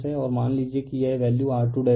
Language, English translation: Hindi, And suppose this value is R 2 dash, right